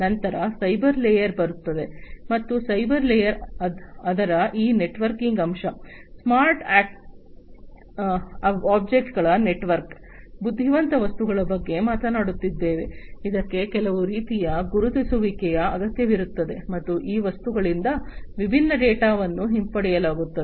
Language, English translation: Kannada, Then comes the cyber layer, and the cyber layer is talking about this networking aspect of it, network of smart objects, intelligent objects, which will need some kind of an identifier, and from this objects the different data are going to be retrieved